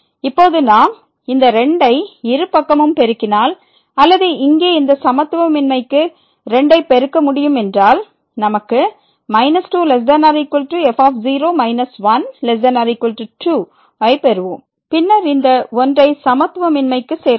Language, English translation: Tamil, Now, if we multiply this to both the sides or that we can multiply to this inequality here we will get minus less than equal to minus , less than equal to and then we can add this to the inequality